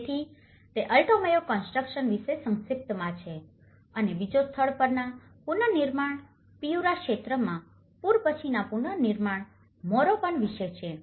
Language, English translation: Gujarati, So that is the brief about the Alto Mayo constructions and the second one is about the on site reconstruction, post flooding reconstruction Morropon in Piura region